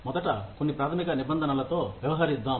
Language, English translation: Telugu, Let us, first deal with, some of the basic terms